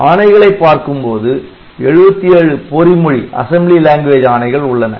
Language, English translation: Tamil, there are 77 assembly language instructions